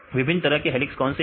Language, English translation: Hindi, Different types of helices what are different types of helices